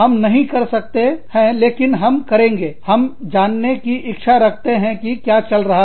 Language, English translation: Hindi, We would not, but we will, we would like to know, what is going on